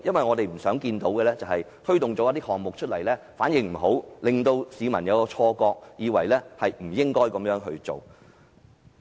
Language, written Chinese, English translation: Cantonese, 我們不想看到政府推動這些項目後反應欠佳，令市民有錯覺，以為政府不應這樣做。, We do not want to see poor response for projects implemented by the Government giving the public a wrong impression that the Government should not undertake such work